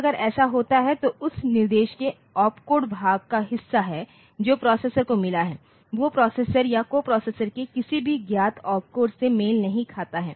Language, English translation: Hindi, So, if it happens like that that opcode part the opcode part of the instruction that the processor has got does not match with any of the known opcodes of the processor or the coprocessor, ok